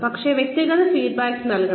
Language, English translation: Malayalam, But, individual feedback should also be given